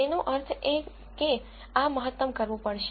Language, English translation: Gujarati, That means, this has to be maximized